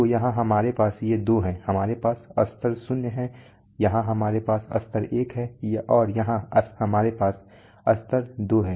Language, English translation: Hindi, So here we have these two we have level zero, here we have level one, and here we have level two